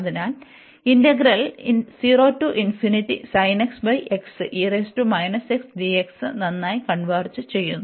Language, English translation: Malayalam, This integral converges